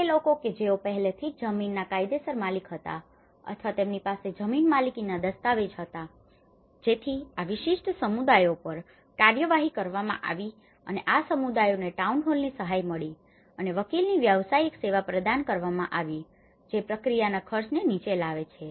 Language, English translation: Gujarati, Now, the all issue to do with the land tenure so, the people who were already a legal owners of the land or had a land ownership documents so that, these particular communities have been processed and these communities have received help from the town hall and were provided with the professional service of lawyer which brought down the cost of the process